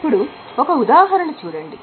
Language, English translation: Telugu, Let us take this example